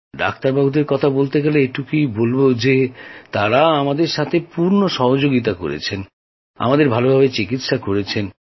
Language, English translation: Bengali, And as far as doctors are concerned, they were very helpful and treated us well…